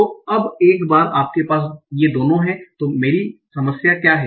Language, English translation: Hindi, So now, once we have both these, what is my problem